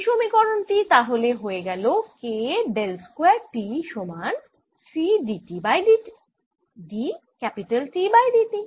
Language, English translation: Bengali, this becomes therefore k, del is square t is equal to c d t